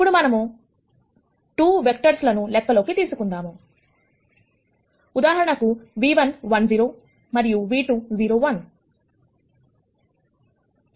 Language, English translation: Telugu, Now, let us consider 2 vectors for example, nu 1 1 0 and nu 2 0 1